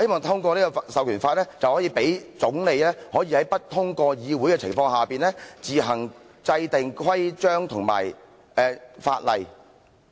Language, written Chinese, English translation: Cantonese, 這項授權法可以讓總理在不通過議會的情況下，自行制訂規章和法例。, This Enabling Act sought to empower the Chancellor to enact rules and laws on his own without involving the Parliament